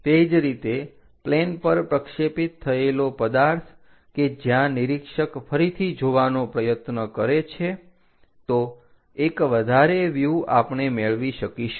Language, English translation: Gujarati, Similarly, the object projected onto the plane where observer is trying to look at again, one more view we will get